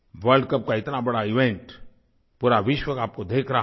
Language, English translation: Hindi, This world cup was a super event where the whole world was watching you